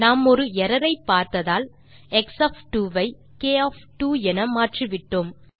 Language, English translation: Tamil, As we have seen an error we have to change x of 2 to k of 2